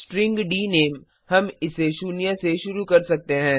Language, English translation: Hindi, String dName we can linitialize it to null